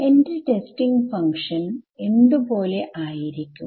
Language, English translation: Malayalam, So, what is my function going to be like